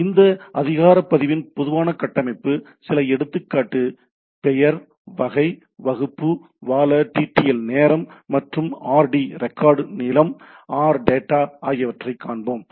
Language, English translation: Tamil, So, typical structure of this resource record we will see some example name, type, class, TTL time to live, and RD rec RD length, RData